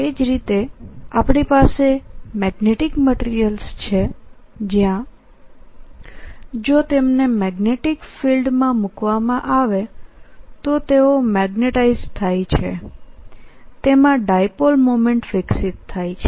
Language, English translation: Gujarati, similarly we have magnetic materials where if they you put them in the magnetic field, they get magnetized, they develop a dipole moment